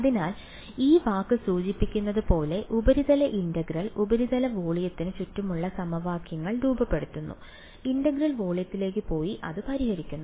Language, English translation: Malayalam, So, as the word suggests surface integral formulates the equations around the surface volume integral goes into the volume and solves it